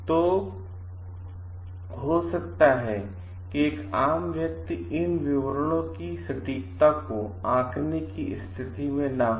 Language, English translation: Hindi, So, lay person may not be in a position to judge the accuracy of these details